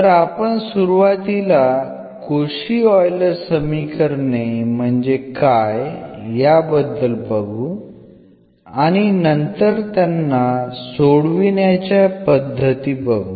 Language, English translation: Marathi, So, we will first introduce what are the Cauchy Euler questions and then their solution techniques